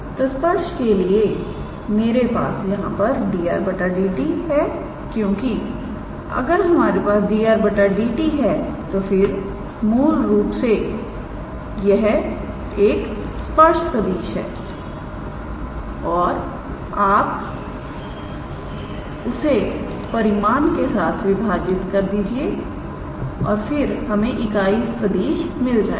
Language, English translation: Hindi, So, for the tangent we need d r dt in a way because if we have d r dt then that is basically the tangent vector and then you divide it with its magnitude and then we will get the unit tangent vector